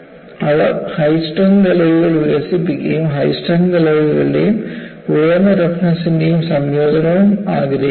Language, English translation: Malayalam, They develop high strength alloys and they also want to have combination of high strength alloys and high toughness